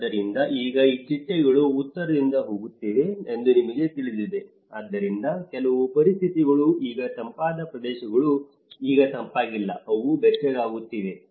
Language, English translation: Kannada, So, now these butterflies you know it is heading from north so, maybe certain conditions are now in the colder areas are no more cold now, they are getting warmer